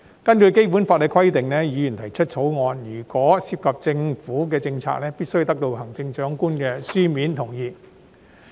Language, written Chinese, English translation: Cantonese, 根據《基本法》的規定，議員提出私人條例草案，如果涉及政府政策，必須得到行政長官的書面同意。, Pursuant to the Basic Law the written consent of the Chief Executive shall be required before private bills relating to government policies are introduced by Members